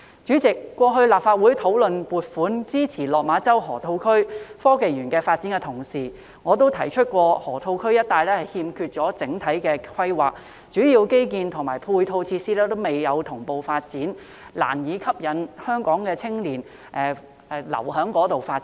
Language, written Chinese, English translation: Cantonese, 主席，過去立法會討論撥款支持落馬洲河套區科技園發展時，我曾提出河套區一帶欠缺整體規劃，主要基建及配套設施未能同步發展，難以吸引香港青年留在當地發展。, President when the Legislative Council discussed whether funding should be given to support the development of the Science and Technology Park in the Lok Ma Chau Loop I once pointed out that there was a lack of overall planning in the Loop and the major infrastructure and supporting facilities were not developed in tandem . Thus it would be difficult to attract young Hong Kong people to stay there for development